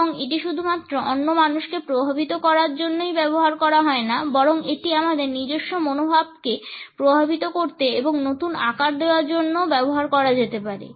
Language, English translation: Bengali, And, it can be used not only to influence other people, but it can also be used to influence and reshape our own attitudes